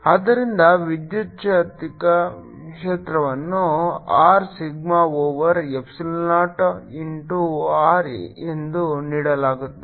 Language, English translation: Kannada, so electric field is given by r sigma over at epsilon naught in to r